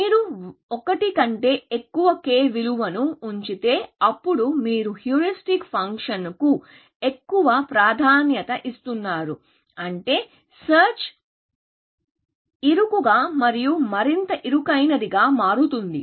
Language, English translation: Telugu, But if you put a value of k greater than 1, then you are giving more emphasis to the heuristic function, which means the search will become narrower and narrower, essentially